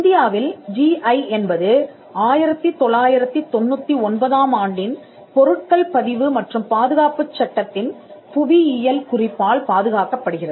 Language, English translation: Tamil, GI in India is protected by geographical indication of goods registration and protection Act of 1999